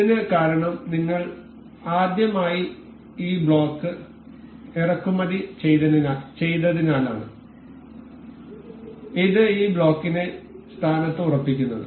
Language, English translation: Malayalam, This is because we have imported this block in the very first time in the very first time and this makes us this makes this block fixed in the position